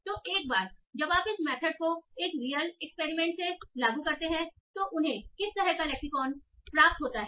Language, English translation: Hindi, Now, so once you apply this method, this was from a real experiment, what kind of lexicon did they obtain